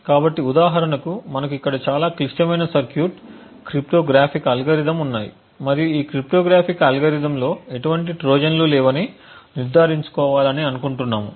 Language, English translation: Telugu, So, for example we have a very complicated circuit over here let us say for example cryptographic algorithm and we want to ensure that this cryptographic algorithm does not have any Trojans